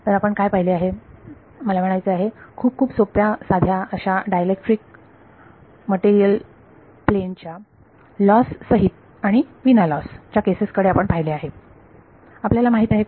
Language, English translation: Marathi, So, what we have looked at is two very very simple cases dielectric material plane I mean without loss and with loss